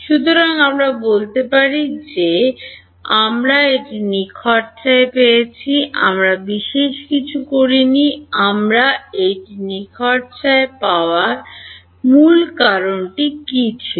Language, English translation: Bengali, So, we can say we got this for free, we did not do anything special; what was the key reason we got this for free